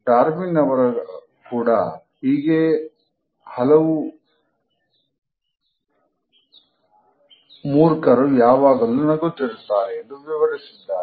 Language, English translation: Kannada, Darwin has also written about the large class of idiots, who are constantly smiling